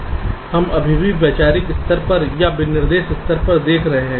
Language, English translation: Hindi, we are still looking at the conceptual level or at the specification level